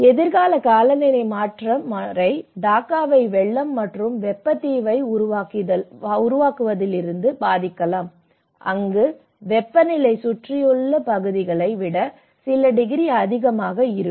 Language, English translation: Tamil, The future climate change pattern may impact Dhaka from flooding and creating heat island where temperature may become a few degrees higher than the surrounding areas